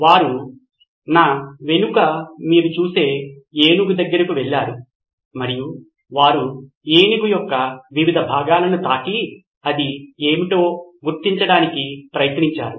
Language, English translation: Telugu, They went close to an elephant like the one you see behind me and they touched different parts of the elephant and tried to figure out what it was